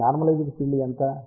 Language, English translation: Telugu, So, what is now the normalized field